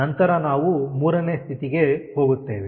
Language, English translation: Kannada, and then we go to state three